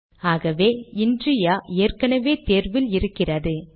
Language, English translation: Tamil, Okay, so inria is already selected